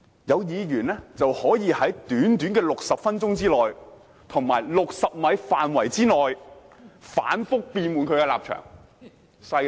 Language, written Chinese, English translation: Cantonese, 有議員可以在短短60分鐘內，以及60米範圍內，反覆變換其立場，厲害吧？, Certain Members can change their position constantly within a mere 60 minutes and a 60 - meter radius of the Chamber . Isnt it amazing? . There should be an adjective to describe them